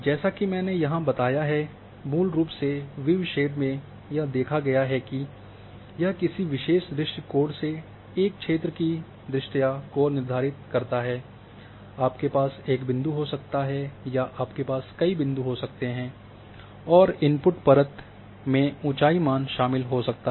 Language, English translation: Hindi, Basically the viewshed as I have explained here that it determines the visibility of an area from a particular or set of viewpoints, you can have one point, you can have multiple points and the input layer should contain the elevation values